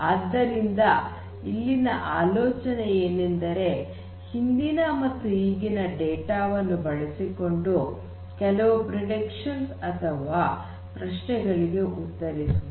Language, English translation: Kannada, So, the whole idea is that you use the past data, existing data you use and then you try to make predictions or answer certain questions for the future, right